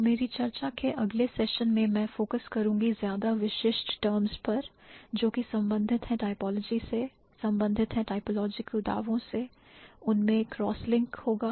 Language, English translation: Hindi, So, in the next sessions of my discussion, I am going to focus more specific terms related to typologies, related to typological claims